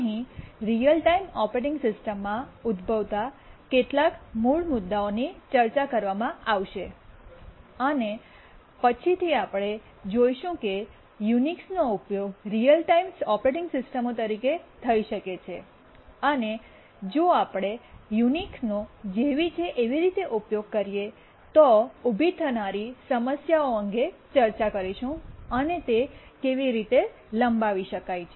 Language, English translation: Gujarati, This lecture will continue with some basic issues that arise in real time operating systems and after that we'll look at whether Unix can be used as a real time operating system, what problems may arise if we use Unix as it is, and how it can be extended